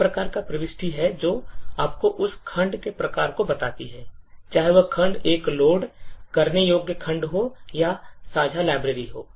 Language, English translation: Hindi, There is a type entry which tells you the type of that particular segment, whether that segment is a loadable segment is a shared library and so on